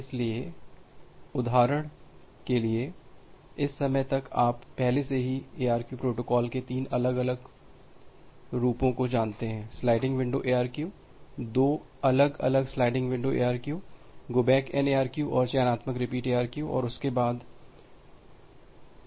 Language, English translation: Hindi, So, for example, by this time you already know three different variants of ARQ protocols; the sliding window ARQ, the two different sliding windows ARQ go back N ARQ and selective repeat ARQ and along with that stop and wait ARQ